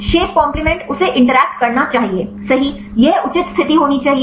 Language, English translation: Hindi, The shape compliment it should interact right this should have the proper position